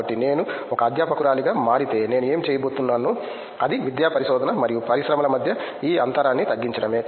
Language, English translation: Telugu, So, I mean if I become a faculty down the line what I would be planning to do is to bridge this gap between the academic research and industry